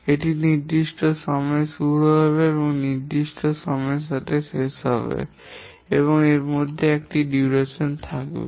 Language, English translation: Bengali, It will start at certain time and end by certain time and And in between, it will have a duration